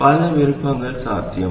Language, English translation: Tamil, There are many, many, many options possible